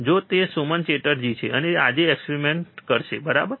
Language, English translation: Gujarati, So, he is Suman Chatterjee, and he will be performing the experiments today, alright